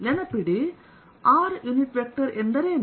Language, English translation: Kannada, remember what is r unit vector